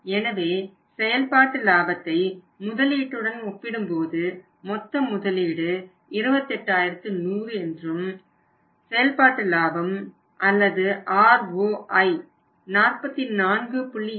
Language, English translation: Tamil, So, when you compare the operating profit with the investment we arrived at conclusion that the total investment you are going to make here is that is of 28100 and operating profit or ROI available is 44